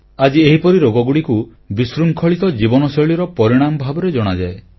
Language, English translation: Odia, Today these diseases are known as 'lifestyle disorders